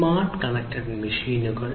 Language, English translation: Malayalam, Smart connected machines